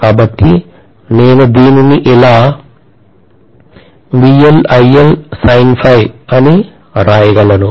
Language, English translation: Telugu, So from here, I am writing this